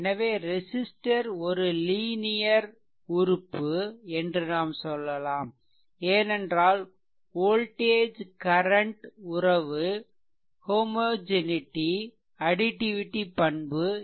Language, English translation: Tamil, So, therefore, we can say that the resistor is a linear element, because if voltage current relationship satisfied both homogeneity and additivity properties right